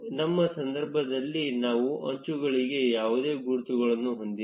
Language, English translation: Kannada, In our case, we do not have any labels for the edges